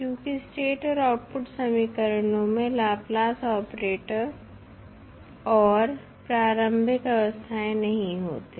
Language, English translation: Hindi, Because the state and output equations do not contain the Laplace operator that is s or the initial states